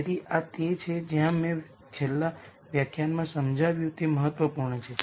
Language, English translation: Gujarati, So, this is where what I explained in the last lecture is important